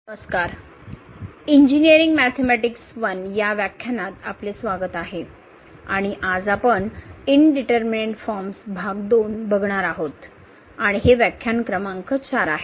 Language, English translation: Marathi, Hai, welcome to the lectures on Engineering Mathematics I and today we will be continuing this Indeterminate Form Part 2 and this is lecture number 4